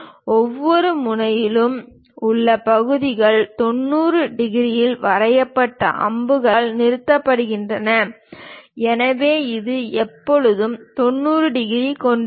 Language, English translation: Tamil, And the segments at each end drawn at 90 degrees and terminated with arrows; so, this always be having 90 degrees